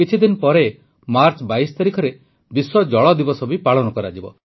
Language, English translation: Odia, A few days later, just on the 22nd of the month of March, it's World Water Day